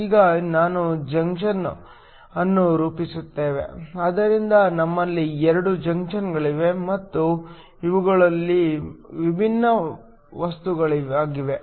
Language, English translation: Kannada, Now, we form a junction, So, we have 2 junctions and these are different materials